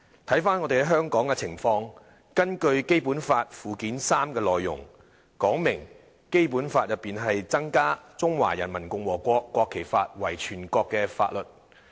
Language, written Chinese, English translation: Cantonese, 看回香港的情況，根據《基本法》附件三的內容，訂明在《基本法》中增加《中華人民共和國國旗法》為全國性法律。, If we look at the situation in Hong Kong it is stipulated in Annex III to the Basic Law that the Law of the Peoples Republic of China on the National Flag is added to the Basic Law as a national law to be applied locally